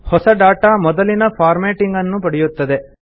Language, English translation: Kannada, The new data will retain the original formatting